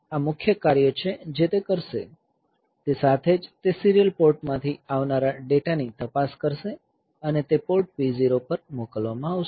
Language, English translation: Gujarati, So, this is the main job that it will do; simultaneously it will look into the incoming data from serial port and that will be sent to port P 0